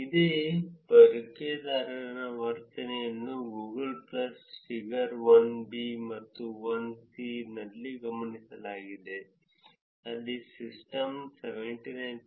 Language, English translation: Kannada, The same user behavior is observed in Google plus figure 1 and figure 1 where the majority of the users of the system 79